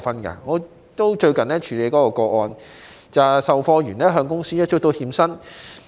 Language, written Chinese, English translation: Cantonese, 我最近也曾處理一宗個案，售貨員向公司追討欠薪。, I recently handled a case where a salesman sought to claim outstanding wages from his company